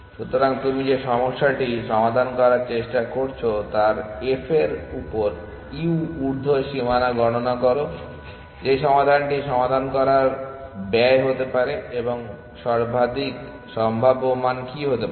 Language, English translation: Bengali, So, compute U upper bound on f of the problem that you are trying to solve what is the maximum possible value that the cost of solving the solution can be